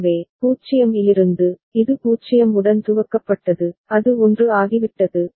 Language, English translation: Tamil, So, from 0, it was initialized with 0, it has become 1